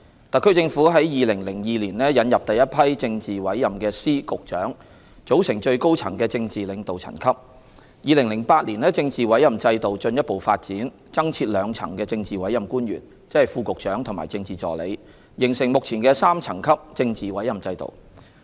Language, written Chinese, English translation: Cantonese, 特區政府在2002年引入第一批政治委任的司、局長，組成最高層的政治領導層級 ；2008 年政治委任制度進一步發展，增設兩層政治委任官員，即副局長和政治助理，形成目前的3層級政治委任制度。, In 2002 the HKSAR Government introduced the first batch of politically appointed Secretaries of Department and Directors of Bureau to create a political tier at the top echelon of the Government . In 2008 the Political Appointment System was further developed leading to the creation of two additional tiers of political appointment positions namely Deputy Directors of Bureau and Political Assistants thus forming the current three - tier Political Appointment System